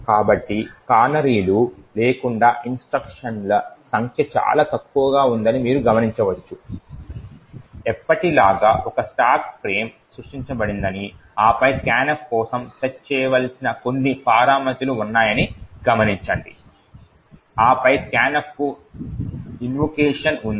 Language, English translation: Telugu, So, you notice over here that without canaries the number of instructions are very less, note that as usual there is a stack frame that is created and then some parameters which have been to be set for scan f and then there is an invocation to the scanf